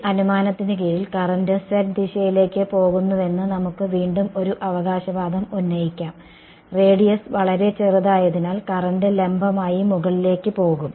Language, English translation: Malayalam, Under this assumption, we can again a sort of make a claim that the current is going to be z directed right; the current was going to go be going vertically up because the radius is very small